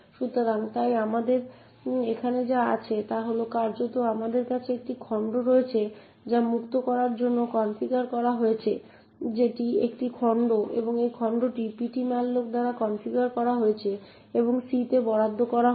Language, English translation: Bengali, So, therefore what we have here is that virtually we have one chunk which is configured to be freed that is the a chunk and the same chunk is also configured by ptmalloc and allocated to c